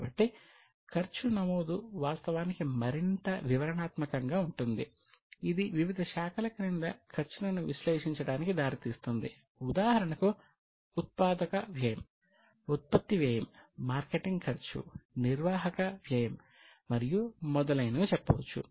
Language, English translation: Telugu, So, the recording of cost is actually more detailed recording it further leads to analyzing the cost under different heads for example say manufacturing costs production cost marketing cost admin cost and so on based on this analysis finally you come out with various financial statements like a cost sheet